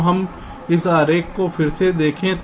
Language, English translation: Hindi, so let us look at this diagram again